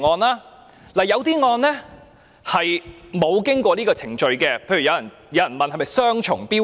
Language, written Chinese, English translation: Cantonese, 由於有些案件並沒有經過這個程序，有人便質疑這是雙重標準。, Given that this procedure was not carried out for some cases some people queried that a double standard is adopted